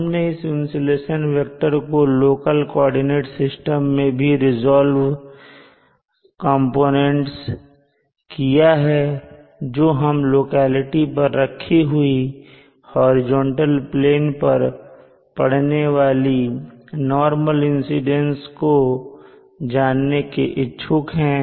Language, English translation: Hindi, We had also resolved this insulation vector along the local coordinate system and we are interested in a normal incidence to the horizontal plane placed at the locality